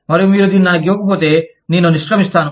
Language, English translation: Telugu, And, if you do not give it to me, i will quit